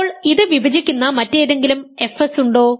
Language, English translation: Malayalam, Now are there any other fs that divide it